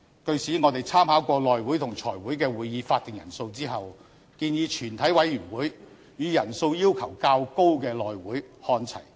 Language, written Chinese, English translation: Cantonese, 據此，我們參考過內務委員會和財務委員會的會議法定人數後，建議全體委員會與人數要求較高的內務委員會看齊。, On this basis we studied the quorums for meetings of the House Committee and the Finance Committee; and we propose that the quorum for the meetings of the Committee of the whole Council be consistent with that for House Committee which has a higher threshold